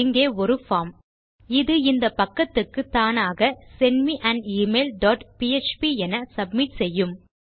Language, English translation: Tamil, I will have a form here which will submit to this page with send me an email dot php